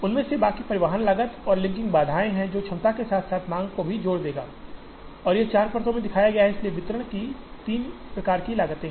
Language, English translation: Hindi, Rest of them are transportation cost and linking constraints, which will link the capacity as well as the demand, which is shown here 4 layers, so there are 3 types of distribution costs